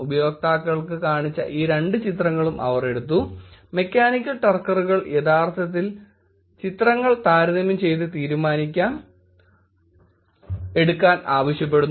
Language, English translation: Malayalam, They took these two pictures showed to users, mechanical turkers asking to actually compare the images and make the decision